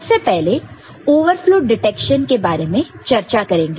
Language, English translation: Hindi, So, first we discuss the overflow detection